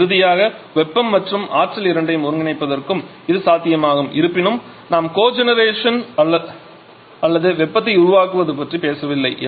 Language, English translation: Tamil, And finally it is possible to a cogeneration of both heat and electricity and though we are not at all talking about cogeneration or generation of heat